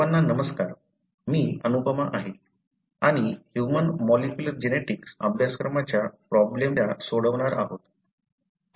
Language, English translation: Marathi, So, hello everyone, I am Anupama and welcome to the problem solving class of human molecular genetics course